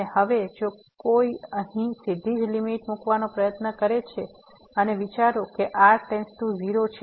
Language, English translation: Gujarati, And now if someone just directly try to put the limit here and think that goes to 0